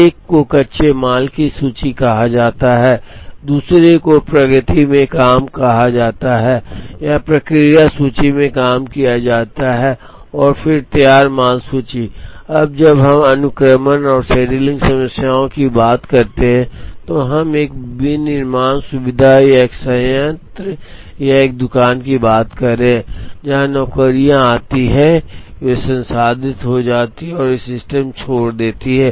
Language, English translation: Hindi, One is called the raw material inventory, the other is called work in progress or work in process inventory and then the finished goods inventory, now when we talk of sequencing and scheduling problems, we are talking of a manufacturing facility or a plant or a shop where jobs come get processed and they leave the system